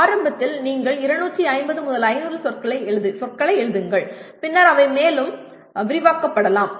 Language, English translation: Tamil, Initially you write 250 to 500 words and maybe later they can be further expanded